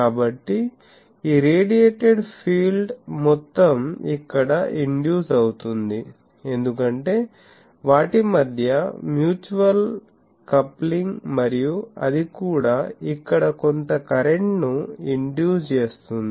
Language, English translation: Telugu, So, sum of this radiated field that will induce here, because the mutual coupling between them and that will also induce some current here